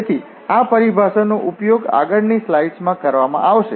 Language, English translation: Gujarati, So, this terminology will be used in next slides